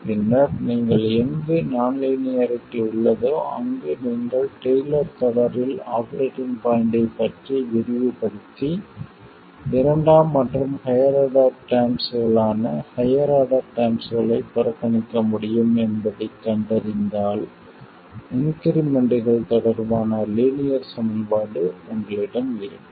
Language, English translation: Tamil, And then you find that wherever you have a non linearity, you can expand it in a Taylor series about the operating point and neglect higher order terms, that is second and higher order terms, then you will be left with a linear equation relating the increments